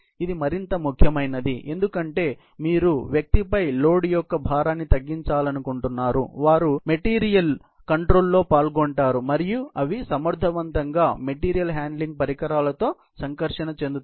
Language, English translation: Telugu, This would be more, because you want to reduce the burden of the load on the individual, who are involved in the material handling, and they can effectively, interact with the equipment, material handling equipment